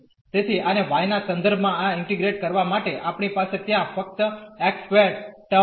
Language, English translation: Gujarati, So, integrating this one with respect to y we will have just the y squared term there